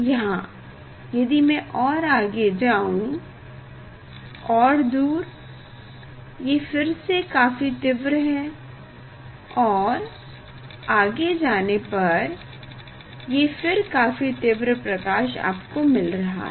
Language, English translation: Hindi, If I go further away; if I go further away, so you see here is very intense If I go further it is a again, so we are getting intense light intense light